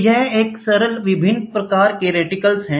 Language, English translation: Hindi, So, this is a simple different types of reticles